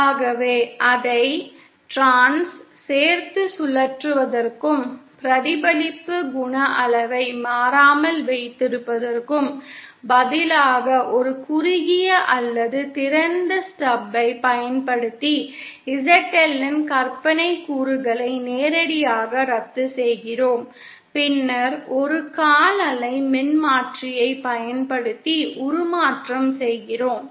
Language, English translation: Tamil, So instead of rotating it along the along and keeping the reflection coefficient magnitude constant we directly cancel the imaginary component of ZL using a shorted or open stub and then do and then do the transformation using a quarter wave transformer